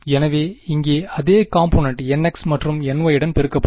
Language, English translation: Tamil, So, the same component here will get multiplied along n x and along n y right